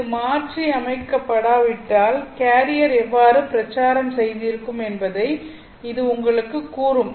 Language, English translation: Tamil, This would actually tell you how the carrier would have propagated if it was not modulated